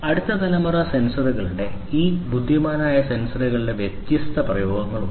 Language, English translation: Malayalam, So, there are different applications of next generation sensors these intelligent sensors